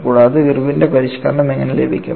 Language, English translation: Malayalam, And how do you get Irwin’s modification